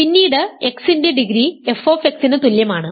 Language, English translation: Malayalam, So, degree of x must f x must be